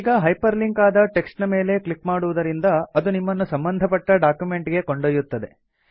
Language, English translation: Kannada, Now clicking on the hyperlinked text takes you to the relevant document